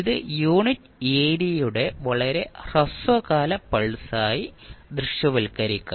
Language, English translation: Malayalam, It maybe visualized as a very short duration pulse of unit area